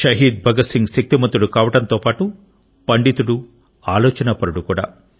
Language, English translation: Telugu, Shaheed Bhagat Singh was as much a fighter as he was a scholar, a thinker